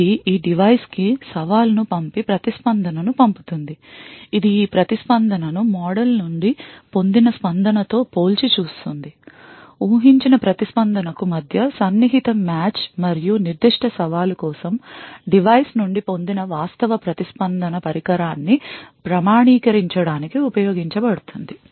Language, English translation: Telugu, It would then send out the challenge to this device and obtain the response; it would then compare this response to what is the expected response obtained from the model, close match between the expected response and the actual response obtained from the device for that particular challenge would then be used to authenticate the device